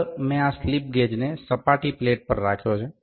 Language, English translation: Gujarati, Next I have kept this slip gauges on a surface plate